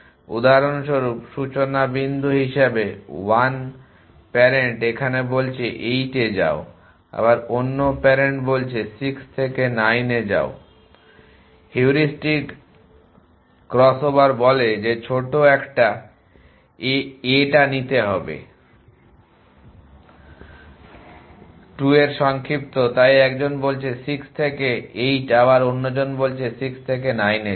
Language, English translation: Bengali, For example, as a starting point 1 parent says go to 8 the other parent says go to 9 from 6 the heuristic crossover says that take the short a of the 2 adjust so 1 says go from 6 to 8 1 goes other says go to 6 to 9